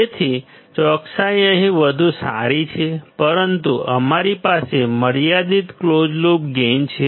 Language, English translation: Gujarati, So, accuracy is better here, but we have finite closed loop gain